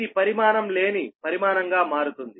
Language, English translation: Telugu, it will become a dimensionless quantity, right